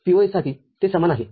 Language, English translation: Marathi, For POS, it is similar